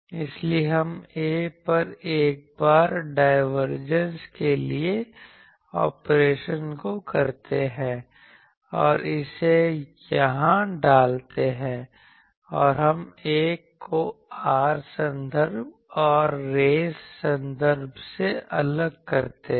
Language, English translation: Hindi, So, we perform this operation of divergence once on A and put it here and we separate the 1 by r terms and race terms